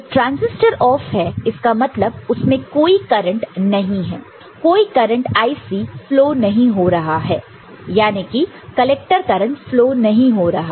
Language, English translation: Hindi, See this transistor this transistor is off, no current is, no IC current is flowing, no collector current is flowing